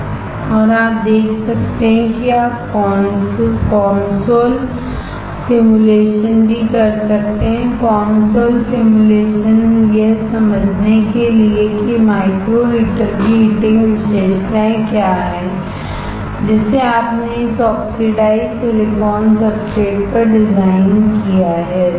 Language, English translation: Hindi, And you can see that you can also perform the COMSOL simulation; COMSOL simulation to understand what is the heating characteristics of the micro heater that you have designed on this oxidized silicon substrate, right